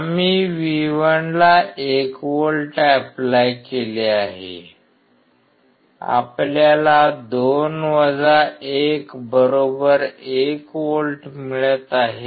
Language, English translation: Marathi, We applied 1 volt at V1